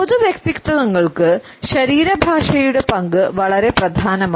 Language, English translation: Malayalam, In public figures the role of the body language becomes very important